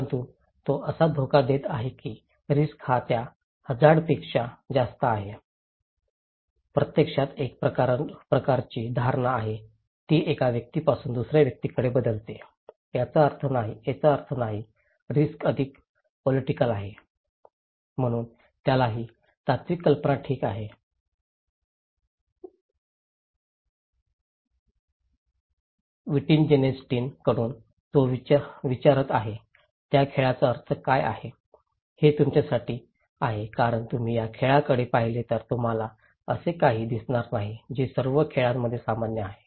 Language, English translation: Marathi, But he is arguing that risk is more than that risk actually a kind of perceptions, it varies from one person to another, there is no one meaning, risk is more polythetic, so he got this philosophical idea okay, from Wittgenstein, he is asking that to for you what is the meaning of a game okay, for if you look at the game, you will not see something that is common to all game